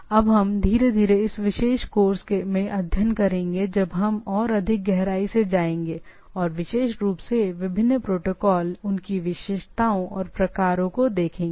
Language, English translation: Hindi, That we will gradually study on in this particular course when we go on more deep into the things and specifically look at different protocols, their characteristics and type of things